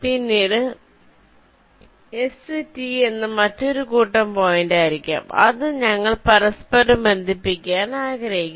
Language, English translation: Malayalam, later on i may be having another set of s and t points which we may want to interconnect